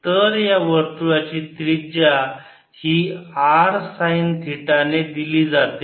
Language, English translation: Marathi, so the radius circle is given by r sin theta, so you can see v